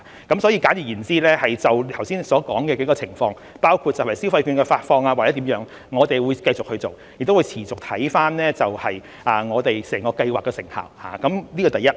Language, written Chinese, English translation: Cantonese, 簡而言之，就剛才所說的幾個部分，包括消費券的發放或者其他事宜，我們會繼續做，亦會持續看看我們整個計劃的成效，這是第一。, In a nutshell we will continue to make efforts in respect of the several aforementioned areas including the disbursement of consumption vouchers and other matters and we will also continue to evaluate the effectiveness of the entire Scheme . This is the first point